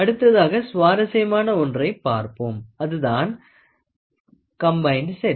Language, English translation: Tamil, Next one is an interesting thing which is a combined set